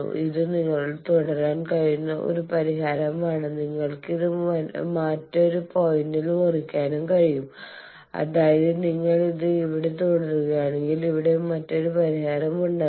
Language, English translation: Malayalam, So, this is one solution you can continue and you can cut this in another point also here; that means, if you continue it here come, here another solution will be here